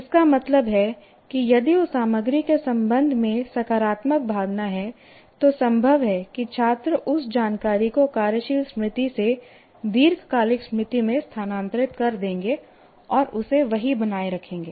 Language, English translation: Hindi, So this is, that means if there is a positive emotion with respect to that content, it's possible that the students will transfer that information from working memory to the long term memory and retain it there